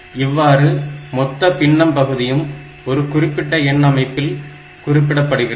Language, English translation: Tamil, So, this way we can get the entire fractional part represented in the form of that particular number system